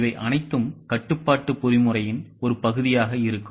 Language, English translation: Tamil, All this will be a part of control mechanism